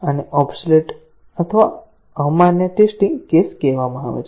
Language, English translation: Gujarati, These are called as the obsolete or invalid test cases